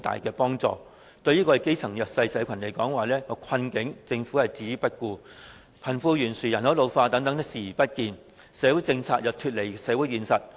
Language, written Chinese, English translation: Cantonese, 它對基層和弱勢社群的困境置之不顧，對貧富懸殊、人口老化等問題視而不見，社會政策脫離社會現實。, It simply ignores the hardship of the grass roots and the underprivileged and turns a blind eye to problems such as the disparity in wealth and population ageing . Its social policies are detached from the social reality